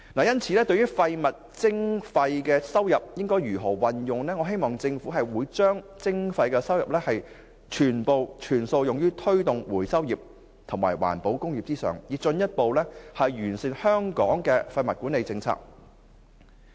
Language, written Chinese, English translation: Cantonese, 因此，對於廢物徵費收入的運用，我希望政府會把徵費收入全數用於推動回收業和環保工業，以進一步完善香港的廢物管理政策。, So with regard to the use of levy income from solid waste charging I hope the Government can spend all the income on developing the recovery and environmental industries so as to further optimize Hong Kongs waste management policy